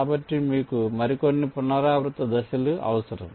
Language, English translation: Telugu, so you need some more iterative steps